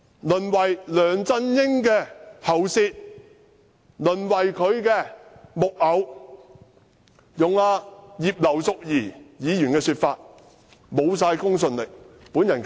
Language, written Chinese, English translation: Cantonese, 淪為梁振英的喉舌、淪為他的木偶；用葉劉淑儀議員的說法，就是完全沒有公信力。, They have become LEUNG Chun - yings mouthpiece and puppets . In the words of Mrs Regina IP they have lost all their credibility